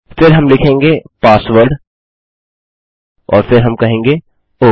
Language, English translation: Hindi, Then we will say password and then well say...